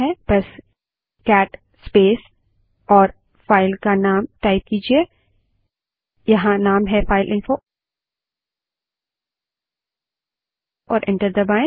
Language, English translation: Hindi, Just type cat space and the name of the file , here it is fileinfo and press enter